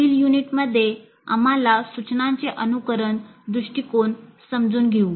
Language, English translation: Marathi, And in the next unit we understand simulation approach to instruction